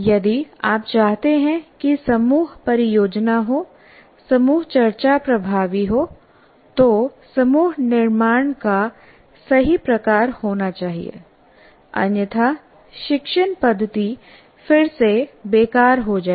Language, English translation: Hindi, If you want a group project to be done, a group discussion to be effective, there should be a right kind of group formation should be made